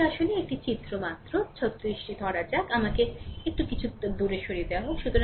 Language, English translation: Bengali, This is actually figure 36 just hold on, let me move it off little bit